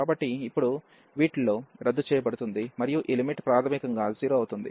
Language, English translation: Telugu, So, now in these will cancel out, and this limit will be 0 basically